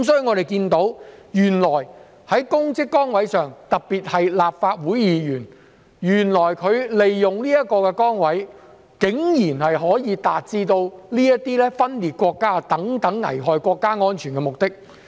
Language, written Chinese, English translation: Cantonese, 我們看到原來有人，特別是立法會議員，利用公職崗位竟然可以達致分裂國家等危害國家安全的目的。, We have seen that some people particularly Members of the Legislative Council have made use of their public office and official positions to actually achieve the goals of jeopardizing national security such as secession